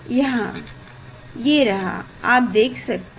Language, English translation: Hindi, Now we see here, I can show you